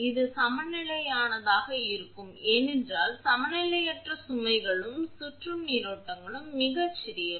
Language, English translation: Tamil, It is a balanced it has to be, for unbalanced loads also circulating currents are very small